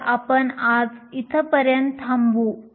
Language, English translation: Marathi, So, we will stop here for today